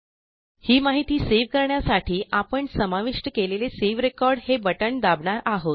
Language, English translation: Marathi, To save this information, we will press the Save Record button that we put there